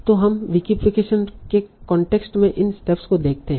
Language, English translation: Hindi, So now, let us see these steps again in the context of vacification